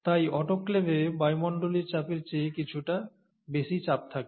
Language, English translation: Bengali, So you have slightly higher than atmospheric pressure conditions in the autoclave